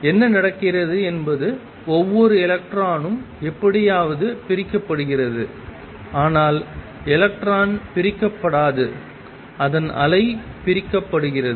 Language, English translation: Tamil, What is happening is each electron that comes somehow gets divided it does not get divided it is wave gets divided